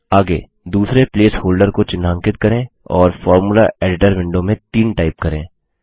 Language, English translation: Hindi, Next, let us highlight the second place holder and type 3 in the Formula editor window